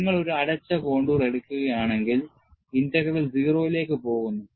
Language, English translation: Malayalam, See, if it is a closed contour, then, the integral value will go to 0